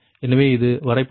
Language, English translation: Tamil, so this is the diagram